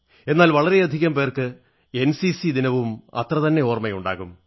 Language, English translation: Malayalam, But there are many people who, equally keep in mind NCC Day